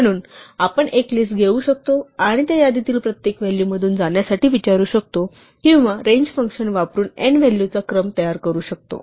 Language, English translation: Marathi, So, we can give a list and ask for to go through each value in that list or we can generate a sequence of n values by using the range function